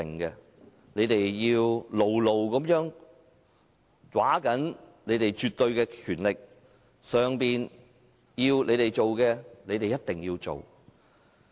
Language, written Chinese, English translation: Cantonese, 他們要牢牢抓緊他們的絕對權力，上頭要他們做的，他們一定要做。, They continue to tighten the control over their absolute power and complete whatever task assigned by their boss